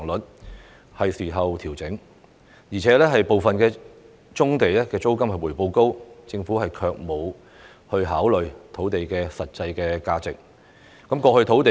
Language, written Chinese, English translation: Cantonese, 現在是作出調整的時候，而且部分棕地的租金回報高，但政府卻沒有考慮土地的實際價值。, It is time to make adjustments because the rental returns of some brownfield sites are high but the Government has not considered the actual value of the land